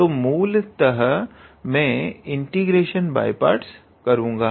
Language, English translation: Hindi, So, I will do basically integration by parts